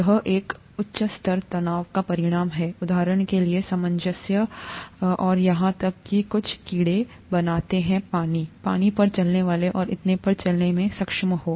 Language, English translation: Hindi, This results in a high surface tension, for example, cohesion and makes even some insects to be able to walk on water, the water strider and so on